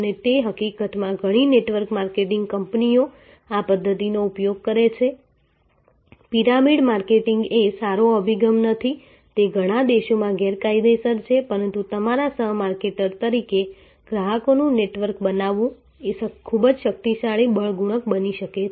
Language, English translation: Gujarati, And that will in fact, many of the network marketing companies use this method, the pyramid marketing is not a good approach it is illegal in many countries, but creating a network of customers as your co marketer can be a very powerful force multiplier